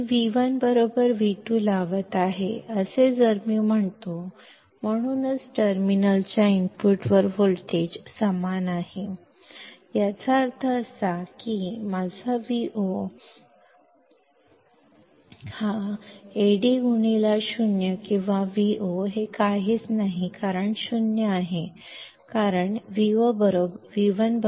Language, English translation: Marathi, If I say I am applying V1 equals to V2 ,that is why voltage is the same at the input of terminal, that implies, that my Vo is nothing but Ad into 0 or Vo is nothing but 0 because V1 is equal to V2; correct